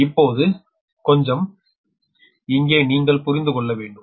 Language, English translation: Tamil, little bit you have to understand here